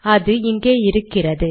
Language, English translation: Tamil, It comes here